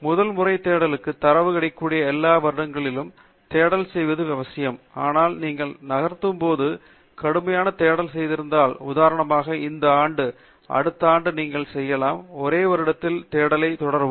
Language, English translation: Tamil, For a first time search, it is important to have the search done for all the years where the data is available, but then as you move on, if you have done rigorous search, for example, this year, then next year you can do the search only for one year and continue from there on